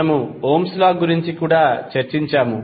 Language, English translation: Telugu, We also discussed the Ohm’s Law